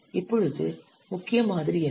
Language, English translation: Tamil, Now let's see what is the core model